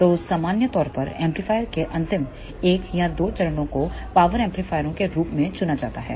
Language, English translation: Hindi, So, in general the last 1 or 2 stages of the amplifier are selected as power amplifiers